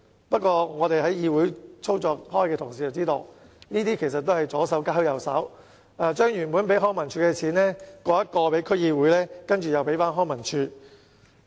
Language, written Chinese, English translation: Cantonese, 不過，在議會內工作的同事也知道，這其實只是左手交右手，把原本撥予康文署的撥款轉給區議會，然後才再交回康文署。, However Honourable colleagues serving in representative councils all know that this is actually tantamount to passing funds from the left hand to the right by transferring funds originally allocated to the Leisure and Cultural Services Department LCSD to DCs before handing them back to LCSD